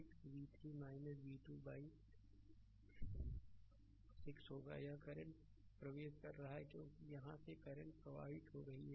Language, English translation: Hindi, So, it will be it will be v 3 minus v 2 by 6, this current is entering because current here flowing from this to that